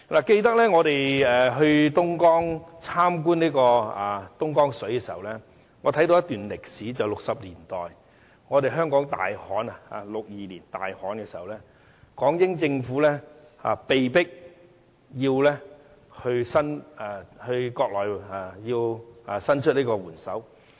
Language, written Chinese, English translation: Cantonese, 記得我們到東江參觀東江水時，我看到一段1960年代的歷史，就是香港在1962年大旱災時，港英政府被迫要求內地伸出援手。, I recall that during our duty visit to Dongjiang River I watched some video footage of the old days in 1960s . In 1962 Hong Kong came across a serious drought and the British Hong Kong Government was compelled to ask for help from the Mainland